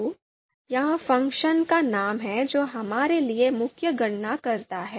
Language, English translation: Hindi, So this is the name of the function that does the you know main computations for us